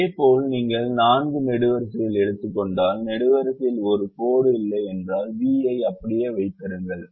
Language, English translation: Tamil, similarly, if you take the four columns, if the column does not have a line passing through, keep the v as it is, so v one is zero